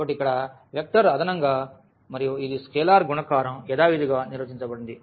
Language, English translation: Telugu, So, here the vector addition and this is scalar multiplication is defined as usual